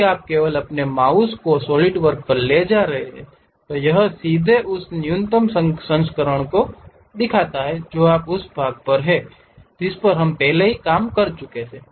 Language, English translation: Hindi, If you are just moving your mouse on Solidwork, it straight away shows the minimized version of what is that part we have already worked on